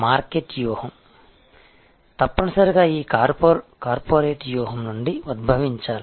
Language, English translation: Telugu, The marketing strategy must be derived out of that corporate strategy